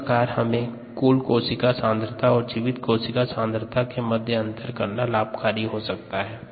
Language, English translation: Hindi, so we need to know that there is a total cell concentration measurement and a viable cell concentration measurement